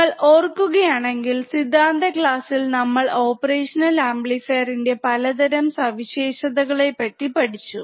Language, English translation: Malayalam, So, if you remember, in the in the theory class we have seen, several characteristics of an operational amplifier